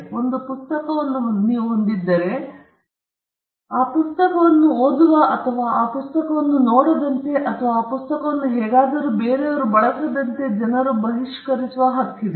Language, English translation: Kannada, If you own a book, you have the right to exclude people from reading that book or from looking into that book or from using that book in anyway